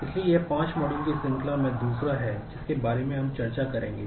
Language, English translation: Hindi, So, this is second in the series of 5 modules which we will discuss this